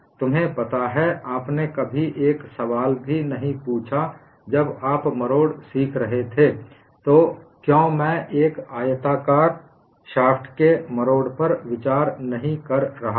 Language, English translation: Hindi, You never even asked a question, when you were learning torsion, why I am not considering torsion of a rectangular shaft